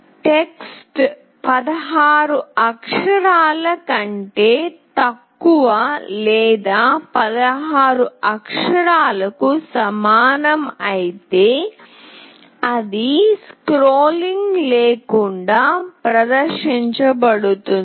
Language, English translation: Telugu, If the text is less than 16 character or equal to 16 character, it will be displayed without scrolling